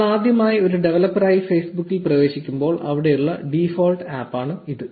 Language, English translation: Malayalam, Now this is the default app that is there when you first get into Facebook as a developer